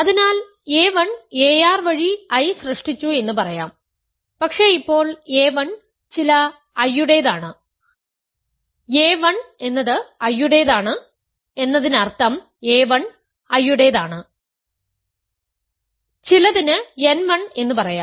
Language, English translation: Malayalam, So, let us say I a 1 through a r generate I, but now a 1 belongs to some I, a 1 belongs to I means a 1 is in I, let us say n 1 for some n 1 because I is a union of these I 1, I 2, I 3 and so on